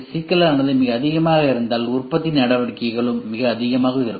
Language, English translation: Tamil, If the complexity is very high then manufacturing operations also will be very high